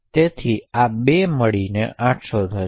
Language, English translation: Gujarati, So, these 2 together would be 800